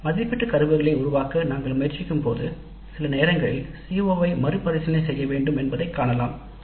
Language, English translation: Tamil, When we try to create the assessment instruments, sometimes it is possible to see that the CO needs to be revisited